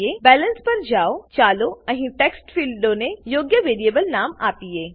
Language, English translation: Gujarati, Go to the Balance tab, let us give proper variable name to these text fields here